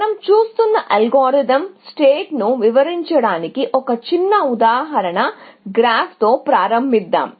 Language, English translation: Telugu, Let us start with a small example graph, just to illustrate the algorithm set that we are looking at